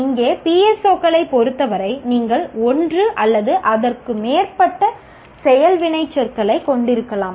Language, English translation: Tamil, Here as far as PSOs are concerned, you can have one or more action verbs